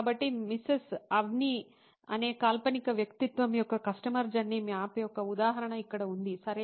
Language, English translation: Telugu, So, here is an example of a customer journey map of fictional personality called Mrs Avni, okay